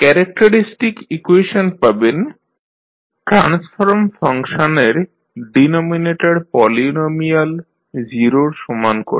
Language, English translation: Bengali, The characteristic equation you can obtain by equating the denominator polynomial of the transform function equal to 0